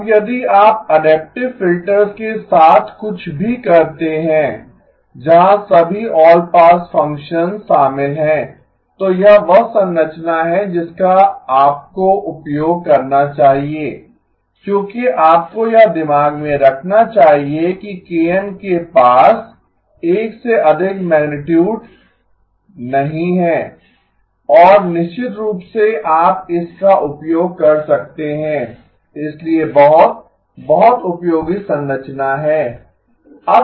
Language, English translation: Hindi, Now if you do anything with adaptive filters where all pass functions are involved, this is the structure you should be using because all you have to keep in mind is that the KN’s do not have magnitude greater than 1 and of course you can use, so the very, very useful structure